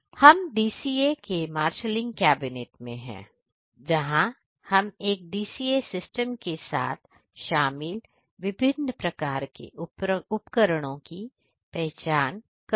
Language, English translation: Hindi, So, we are at marshalling cabinet of whole DCA systems, where we can identify the different type of instruments involved a with a DCA systems